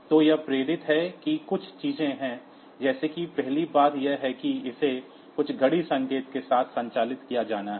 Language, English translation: Hindi, So, it is driven there are certain things like first thing is, that it has to be operated with some clock signal